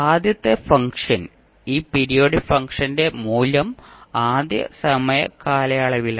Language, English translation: Malayalam, And the first function is the, the value of this periodic function at first time period